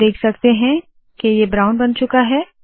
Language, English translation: Hindi, You can see that it has become brown